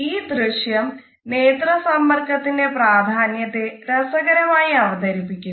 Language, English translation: Malayalam, This video is a very interesting illustration of the significance of eye contact